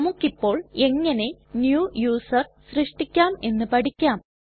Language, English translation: Malayalam, Lets now learn how to create a New User